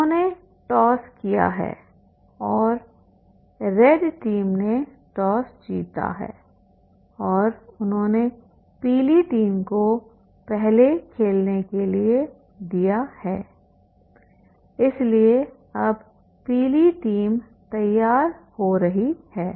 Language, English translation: Hindi, So they have done the toss and the yellow team, red team has won the toss and they have given the yellow team to play first